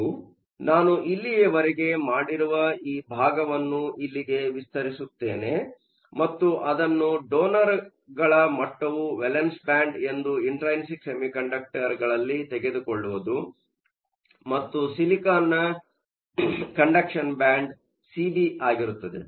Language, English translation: Kannada, So, all I have done is just expand this portion here and take it to be an intrinsic semiconductor with the donor level being the valence band and C B being the conduction band of silicon